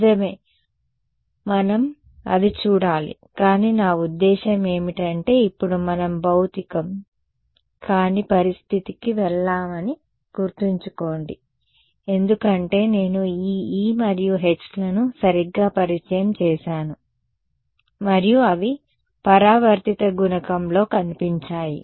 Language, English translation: Telugu, Right so, we have to see that right, but remember I mean this is now we have gone to a non physical situation because I have introduced these e ones and h ones right so, and they have made an appearance in the reflection coefficient